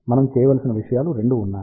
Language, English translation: Telugu, There are 2 things which we need to do